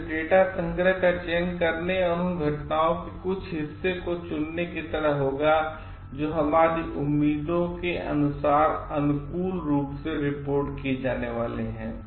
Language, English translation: Hindi, So, that will lead to like selecting data collection or like picking up certain part of the happenings which is going to be reported favourably according to our expectations